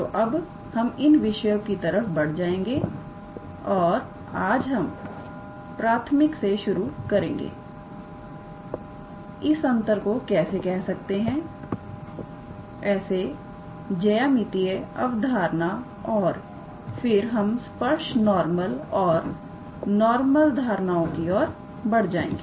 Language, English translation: Hindi, So, we will now move on to those topics and today we will start with elementary how to say difference as geometric concepts and then we move to those tangent normal and binormal concepts all right